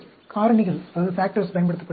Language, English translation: Tamil, The factorials are used